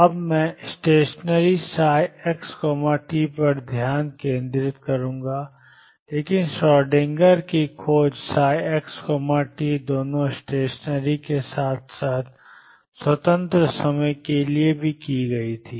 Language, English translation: Hindi, Right now I will focus on stationery psi x t, but a discovery of e Schrödinger was made for psi x t both stationery as well as time independent